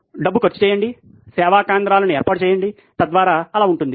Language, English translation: Telugu, Spend the money, put up the service centres, so that would be